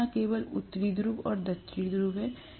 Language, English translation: Hindi, It is not only a North Pole and South Pole per se